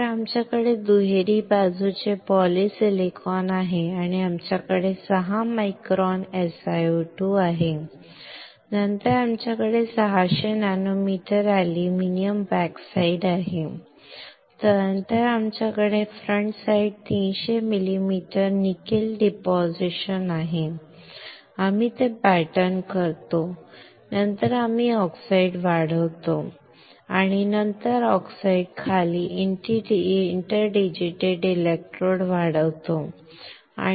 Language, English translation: Marathi, So, we have double side polysilicon, and we have 6 micron SiO2, then we have 600 nanometer aluminum backside, then we have frontside 300 mm nickel deposition we pattern it, then we grow the oxide and then under the oxide we grow the interdigitated electrodes and then on that we have the zinc pattern by a technique called lithography